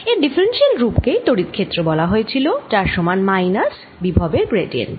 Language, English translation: Bengali, its differential form was that electric field, it was equal to minus the gradient of electric potential